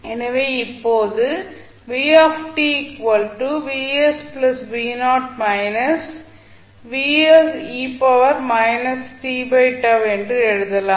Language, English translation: Tamil, so, what you can write now